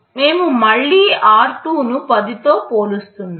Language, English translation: Telugu, We are again comparing r2 with 10